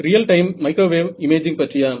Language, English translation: Tamil, Real time microwave imaging